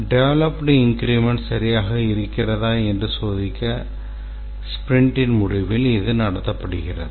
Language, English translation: Tamil, The sprint review meeting is conducted at the end of the sprint to check whether the developed increment is all right